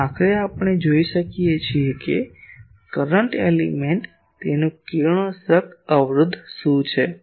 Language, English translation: Gujarati, And ultimately we could see that a current element what is its radiation resistance